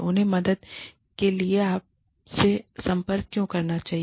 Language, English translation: Hindi, Why should they approach you, for help